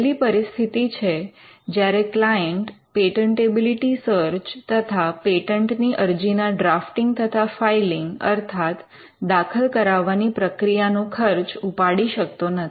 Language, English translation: Gujarati, The first instance is when the client cannot afford both a patentability search, and the filing cost for filing and drafting a patent application